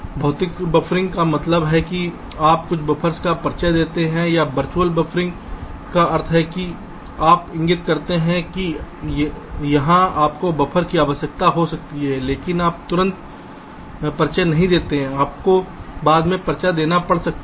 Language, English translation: Hindi, physical buffering means you introduce some buffers, or virtual buffering means you indicate that here you may require a buffer, but you do not introduce right away, you may need to introduce later